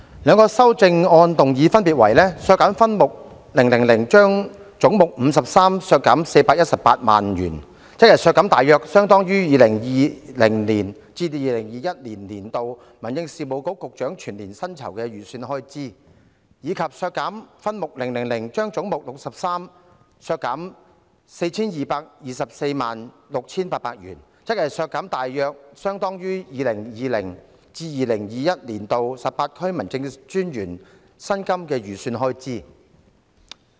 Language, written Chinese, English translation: Cantonese, 兩項修正案的內容分別為：為削減分目000而將總目53削減418萬元，即削減大約相當於 2020-2021 年度民政事務局局長全年薪酬預算開支，以及為削減分目而將總目削減 42,346,800 元，即削減大約相當於 2020-2021 年度18區民政事務專員薪金預算開支。, The two amendments respectively read That head 53 be reduced by 4,180,000 in respect of subhead 000 that means to deduct an amount approximately equivalent to the annual estimated expenditure for the emoluments of the Secretary for Home Affairs in 2020 - 2021 and that head 63 be reduced by 42,346,800 in respect of subhead 000 that means to deduct an amount approximately equivalent to the estimated expenditure for the emoluments of the 18 District Officers in 2020 - 2021